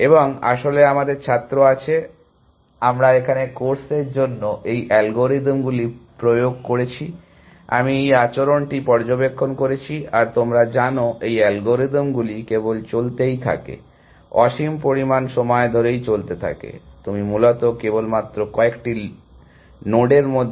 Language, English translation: Bengali, And actually we have students, we have implemented these algorithms for the course here, I have observed this behavior that you know these algorithms just keep spends, what they say as infinite amount of time, you will just touching between a few loads essentially